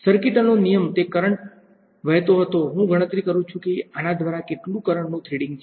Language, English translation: Gujarati, Circuital law it was a current going I calculate how much current is threading through this